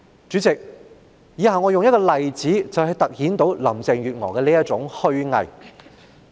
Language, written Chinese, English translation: Cantonese, 主席，以下我會用一個例子來凸顯林鄭月娥的虛偽。, Chairman I am going to cite an example to highlight how hypocritic Carrie LAM is